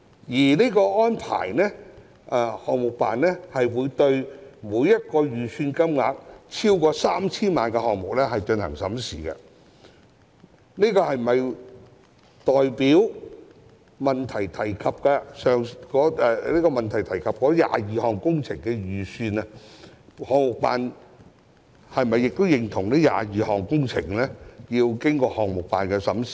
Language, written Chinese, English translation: Cantonese, 由於項目辦會就每個預算金額超過 3,000 萬元的項目進行審視，項目辦是否認同以主體質詢提及的22項工程合約而言，其工程預算均須經項目辦審視？, As PSGO will scrutinize each project with an estimate exceeding 30 million does PSGO agree that with respect to the 22 capital works contracts mentioned in the main question their project estimates should have been subject to scrutiny by PSGO?